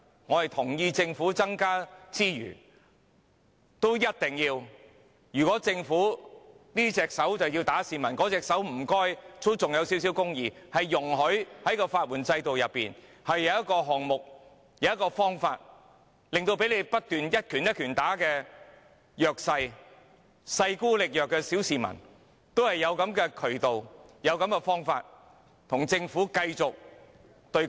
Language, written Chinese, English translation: Cantonese, 我同意政府要增加資源，如果政府這隻手要打市民，麻煩另一隻手也要留存少許公義，容許市民在法援制度內有一個方法，令到被政府一拳一拳不斷攻擊的弱勢、勢孤力弱的小市民，也有渠道和方法與政府繼續對抗。, I agree that the Government should increase resources . If the Government wishes to hit members of the public with one hand will it please retain some justice in its other hand so as to allow the general public access to a means in the legal aid system thereby giving the disadvantaged the weak and the powerless members of the public under the continuous attack and batter of the Government a channel and a means to continue their confrontation with the Government